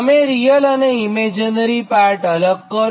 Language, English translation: Gujarati, then we will separate real and imaginary part, right